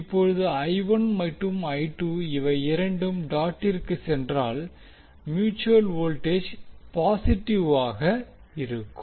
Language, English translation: Tamil, Now I 1 and I 2 are both entering the dot means the mutual voltage would be positive